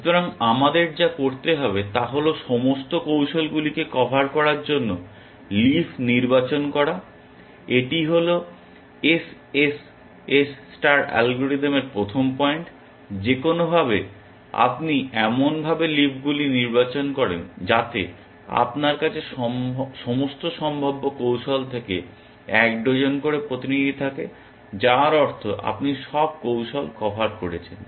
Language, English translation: Bengali, So, what we need to do is to select leads to cover all strategies, that is the first point of SSS star algorithm, that somehow you select the leaves in such a manner that, you have a representative from all possible strategies, which means you have covered all strategies